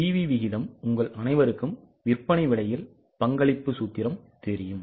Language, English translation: Tamil, PV ratio all of you know the formula, contribution upon selling price